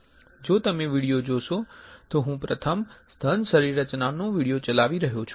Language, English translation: Gujarati, If you see the video I am playing the first breast anatomy video